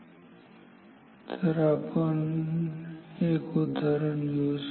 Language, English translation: Marathi, So let us take an example ok